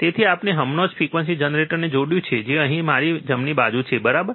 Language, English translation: Gujarati, So, we have just connected the frequency generator which is here on my, right side, right